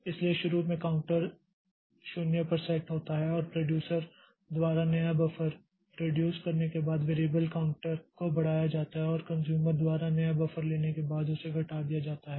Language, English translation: Hindi, So, initially counter is set to zero and the variable counter is incremented by producer after it produces a new buffer and decremented after the consumer consumes a new buffer